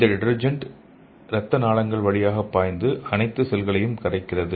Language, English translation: Tamil, And these detergents flow through this blood vessels and dissolve all the cells